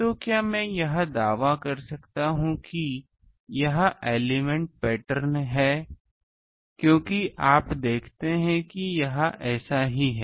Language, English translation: Hindi, So, can I claim that this is element pattern, because you see this is the same as this